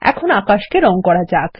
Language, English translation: Bengali, Lets color the sky now